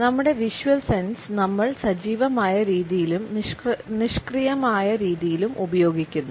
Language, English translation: Malayalam, Our visual sense is used in an active manner as well as in a passive manner